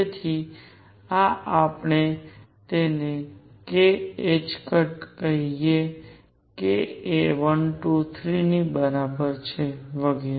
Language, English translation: Gujarati, So, this is equal to let us call it k h cross k equals 1 2 3 and so on